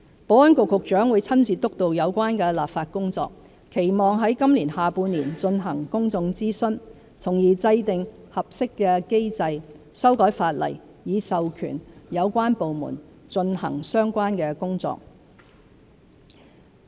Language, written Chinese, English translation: Cantonese, 保安局局長會親自督導有關立法工作，期望在今年下半年進行公眾諮詢，從而制訂合適的機制，修改法例以授權有關部門進行相關工作。, The Secretary for Security will personally oversee the relevant legislative exercise with a view to launching public consultation in the second half of this year in order to formulate a suitable mechanism and amend the legislation to empower relevant departments to carry out the related work